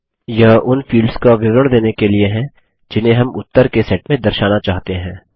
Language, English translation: Hindi, This is for specifying the fields we need to display in the result set